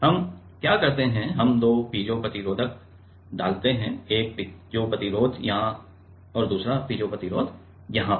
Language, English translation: Hindi, What do we do we put two piezo resistor; one piezo resistor here and another piezo resister let us say here